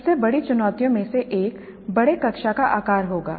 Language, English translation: Hindi, One of the biggest challenges would be the large class size